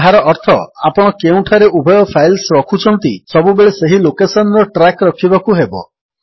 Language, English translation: Odia, Which means, you will always have to keep track of the location where you are storing both the files